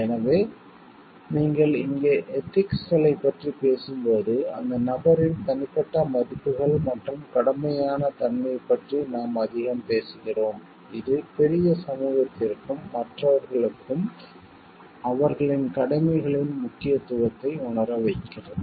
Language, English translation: Tamil, So, we when you are talking of ethics here we are more talking of the personal values and dutiful nature of the person, who which makes the person realize the importance of their duties towards the greater society and to others